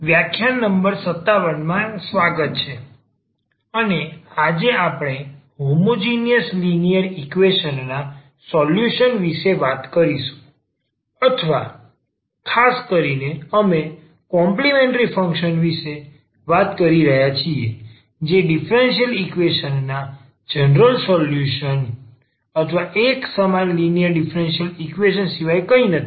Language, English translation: Gujarati, Welcome back, this is lecture number 57 and today we will be talking about the Solutions of Homogeneous Linear Equations or in particular we are talking about the complementary function that is nothing but the general solution of a differential equation, a homogeneous linear differential equation